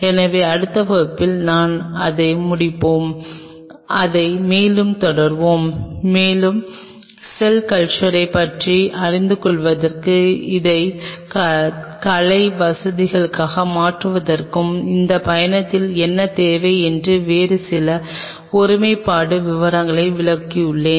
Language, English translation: Tamil, So, I will close in here in the next class we will continue it further and we will explain some of the other integrity details what will be needing in this journey of learning about cell culture and making it a state of art facility